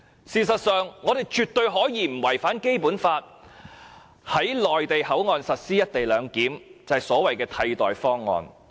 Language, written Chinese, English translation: Cantonese, 事實上，我們絕對可以在不違反《基本法》的情況下，在內地口岸實施"一地兩檢"，而這就是所謂的替代方案。, In fact we can certainly implement the co - location arrangement in MPA without contravening the Basic Law and this is the so - called alternative option